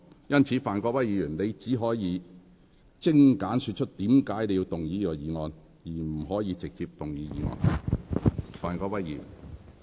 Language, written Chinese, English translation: Cantonese, 因此，范國威議員，你現在只可精簡說出你為何要動議此議案，而不可直接動議議案。, Therefore Mr Gary FAN you can now only concisely state your reason for moving this motion but cannot move the motion directly